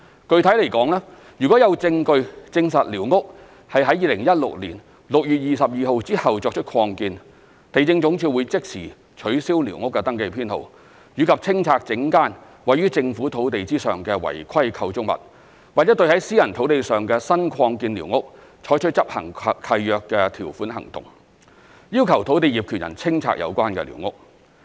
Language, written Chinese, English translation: Cantonese, 具體而言，若有證據證實寮屋是在2016年6月22日後作出擴建，地政總署會即時取消寮屋登記編號，以及清拆整間位於政府土地上的違規構築物，或對在私人土地上的新擴建寮屋採取執行契約條款行動，要求土地業權人清拆有關寮屋。, Specifically if there is evidence showing that a squatter has a new extension which is completed after 22 June 2016 LandsD will instantly cancel the squatter survey number concerned and demolish the whole unauthorized structure on government land or take lease enforcement actions against newly extended structures on private land and require the landowner to clear the squatter concerned